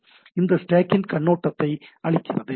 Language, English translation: Tamil, So, this gives a overview of the stack